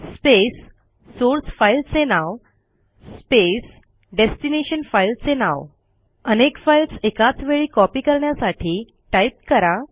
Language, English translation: Marathi, space the name of the SOURCE file space the name of the destination file To copy multiple files at the same time